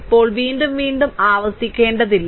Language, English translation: Malayalam, Now, no need to repeat again and again